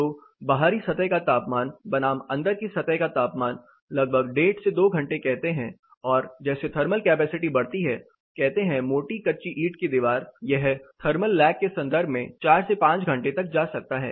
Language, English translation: Hindi, So, the outside surface temperature versus the inside surface temperature; say around 1 and half to 2 hours are as the thermal capacity increases say thick adobe wall it can go as far as 4 to 5 hours in terms of thermal lag